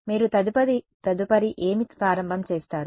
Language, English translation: Telugu, What do you do next start